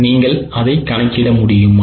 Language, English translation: Tamil, Are you able to do it